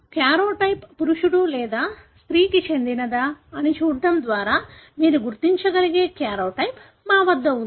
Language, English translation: Telugu, So, we have the karyotype which you can distinguish by looking at whether the karyotype belongs to a male or female